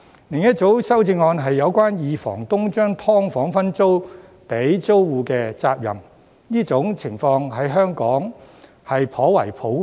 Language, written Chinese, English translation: Cantonese, 另一組修正案是有關二房東把"劏房"分租給租戶時的責任，這種情況在香港頗為普遍。, Another group of amendments relate to the liabilities when a main tenant sublets an SDU to other tenants . This situation is quite common in Hong Kong